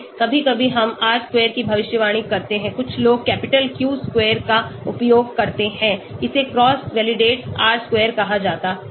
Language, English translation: Hindi, Sometimes, we use R square predicted, some people use capital Q square, this is called cross validated R square